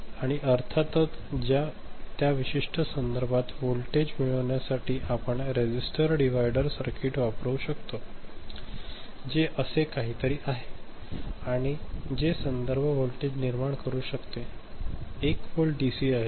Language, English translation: Marathi, And to get that particular reference voltage of course, you can use a resistor divider circuit, something like this right and generate reference voltage which is 1 volt DC ok